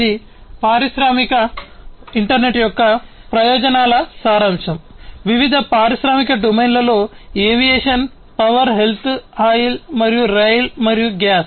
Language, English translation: Telugu, This is a summary of the advantages of the industrial internet, in different industrial domains aviation power health oil and rail and gas